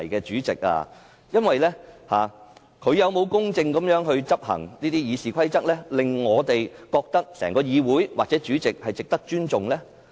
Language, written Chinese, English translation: Cantonese, 主席有否公正地執行《議事規則》，令我們認為議會或主席是值得尊重？, Has the President fairly enforced RoP so that we will respect this Council or the President?